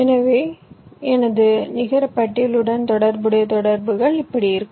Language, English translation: Tamil, so the interconnections corresponding to my net list will be like this